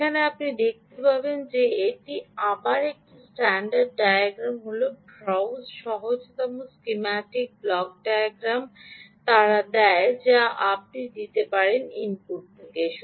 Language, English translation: Bengali, ah, you will see that again, it is the same standard diagram, the block diagram, simplified schematic block diagram they give you you can have input coming from